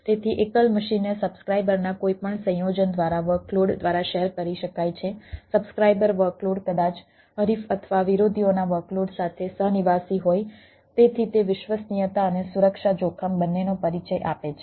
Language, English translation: Gujarati, so single machine can be shared by workloads, by any combination of subscriber subscriber workload maybe co resident with the workload of the competitor or adversaries right in ah